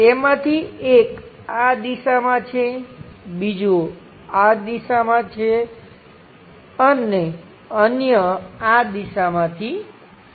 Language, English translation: Gujarati, One of them is in this direction; the other one is from this direction; the other one is from this direction